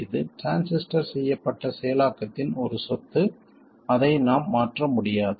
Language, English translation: Tamil, It's a property of the processing with which the transistor is made and we can't change that